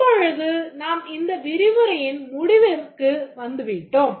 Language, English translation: Tamil, Right now we are nearly at the end of this lecture